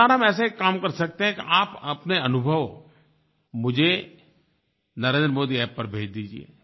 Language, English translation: Hindi, This time you can send your experiences on Narendra Modi App